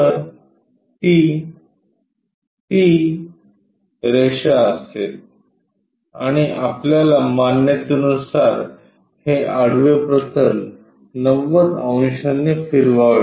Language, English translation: Marathi, So, that will be that line and our convention is rotate this horizontal plane by 90 degrees